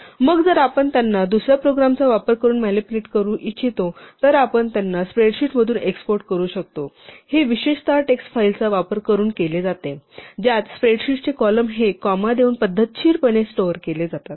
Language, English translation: Marathi, And then if we want to manipulate them by using another program, we might want to export them from a spreadsheet this is typically done using text files in which the columns of the spreadsheet are stored in a systematic way separated by say commas